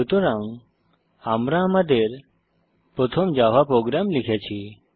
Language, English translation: Bengali, Alright now let us write our first Java program